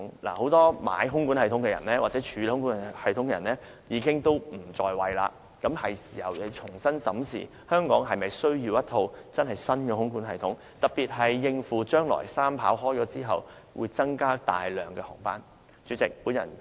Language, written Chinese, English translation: Cantonese, 事實上，現時很多購買或處理空管系統的人已經不在位，是時候重新審視香港是否需要一套新的空管系統，特別是應付將來三跑啟用後，會大幅增加的航班數量。, In fact many people who acquired or handled the system are not holding office anymore so it is time to reconsider if Hong Kong needs a new air traffic control system especially to cope with the substantially increased number of flights after the commissioning of the Three Runway System